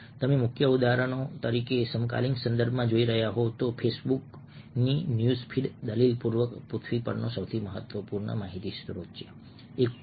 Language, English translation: Gujarati, so key examples: for instance, if you looking at the contemporary context, facebook's news feed is arguable the single most important information source on earth